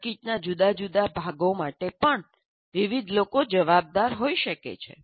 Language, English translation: Gujarati, And many different people may be responsible for different parts of the circuit as well